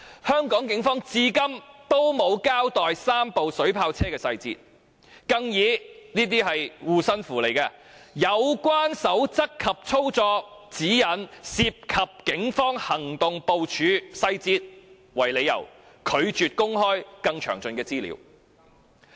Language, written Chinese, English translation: Cantonese, 香港警方至今仍未交代3輛水炮車的細節，更借助一道"護身符"，即有關守則及操作指引屬警方行動部署細節，拒絕公開更詳盡的資料。, Up till now the Hong Kong Police have not given an account of the details of the three water cannon vehicles . They even use an amulet by saying that the relevant guidance and operation guidelines involve the Polices operational deployment details as a pretext to refuse disclosing further details of the operation guidelines